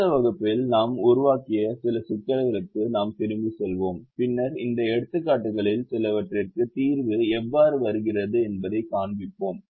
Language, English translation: Tamil, in the next class we will go back to some of the problems that we formulated and then we show how the solver gives the solution to few of these examples